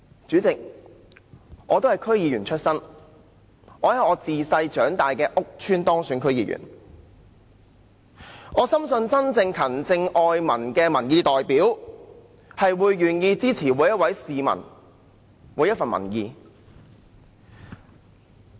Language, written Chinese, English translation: Cantonese, 主席，我本身都是區議員，在自小長大的屋邨當選，深信真正勤政愛民的民意代表，會願意接納每一位市民的每一分意見。, President being a DC member elected to the district where I grew up I strongly believe that the real representatives of public opinion who are diligent and care about the people are willing to accept every single opinion of every citizen